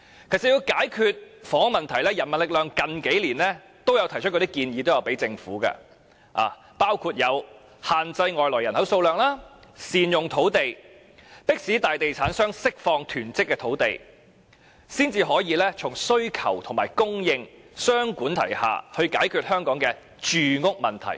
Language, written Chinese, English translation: Cantonese, 其實，要解決房屋問題，人民力量最近數年均有向政府提出建議，包括限制外來人口數量、善用土地、迫使大地產商釋放囤積的土地，才可以從需求及供應雙管齊下，以解決香港的住屋問題。, In fact the People Power has made proposals to the Government in recent years on ways to solve the housing problems . These proposals included limiting the number of immigrants making better use of the land and forcing major real estate developers to release land hoarded by them so as to tackle the housing problems in Hong Kong from both supply and demand